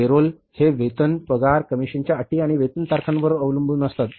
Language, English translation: Marathi, Payrolls depend on the wages, salaries, commission terms and payroll dates